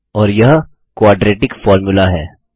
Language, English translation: Hindi, And there is the quadratic formula